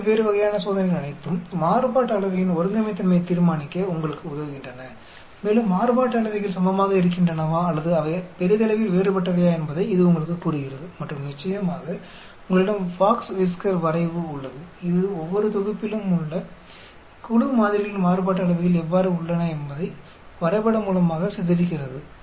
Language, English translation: Tamil, All these different type of tests help you to determine the Homogeneity of variance and it tells you whether the variances are equal or they are largely different and of course, you have also have the box whisker plot which pictorially depicts how the variances are of each set of groups samples